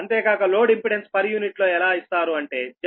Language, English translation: Telugu, so also load impedance in per unit can be given as z p